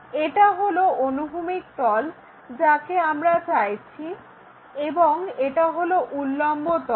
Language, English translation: Bengali, This is the horizontal plane, what we are intended for and this is the vertical plane